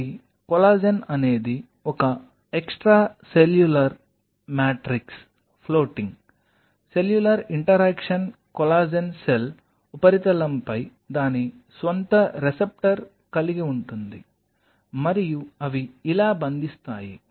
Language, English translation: Telugu, So, the collagen itself is an extracellular matrix floating, the cellular interaction collagen has its own receptor on the cell surface and they bind like this